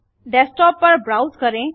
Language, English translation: Hindi, Browse to the desktop